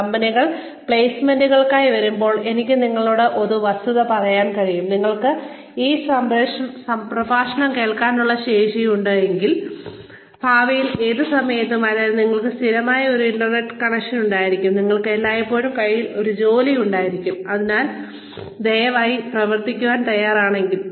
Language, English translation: Malayalam, When companies come for placements, and I can tell you for a fact, if you have the capacity to listen to this lecture, at any point in the future, which means, you have a constant, a ready internet connection, you will always have a job in hand, provided, you are willing to work for it